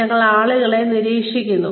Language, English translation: Malayalam, We observe people